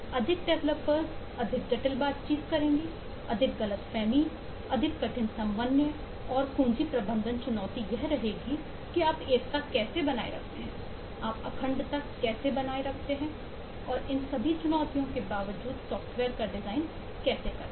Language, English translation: Hindi, more developers will mean more complex interaction, more misunderstanding, more difficult coordination, and the key management challenge remain to be: how do you maintain a unity, how do you maintain a integrity of the design of the software in spite of all these challenges